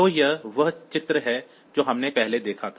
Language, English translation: Hindi, So, this is the diagram that we had previously